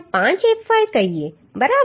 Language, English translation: Gujarati, 5fy that means 0